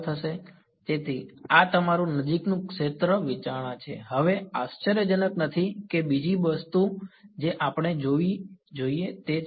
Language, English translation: Gujarati, So, this is your near field consideration now not surprisingly that the other thing that we should look at is